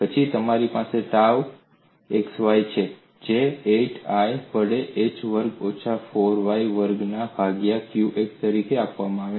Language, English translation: Gujarati, Then you have tau xy, which is given as qx divided by 8I into h square minus 4y square